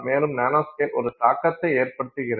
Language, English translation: Tamil, So, now what is the impact of nanoscale